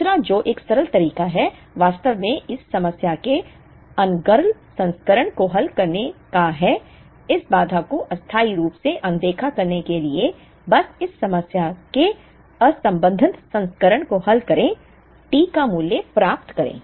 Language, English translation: Hindi, The other which is a simpler method is, to actually solve the unconstrained version of this problem that is; to temporarily ignore this constraint, just solve the unconstraint version of this problem get the value of T